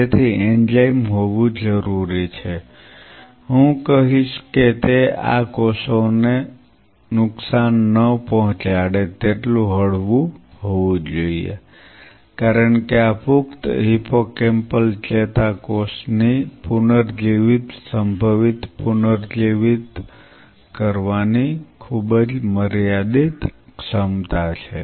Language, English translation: Gujarati, So, the enzyme has to be I would say it has to be mild enough not to damage these cells, because the regenerating potential these adult hippocampal neuron regenerating potential is very, very limited ability to regenerate ok